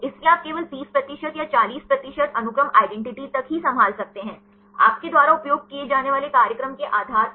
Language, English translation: Hindi, So, you can handle only up to 30 percent or 40 percent sequence identity based on the program you use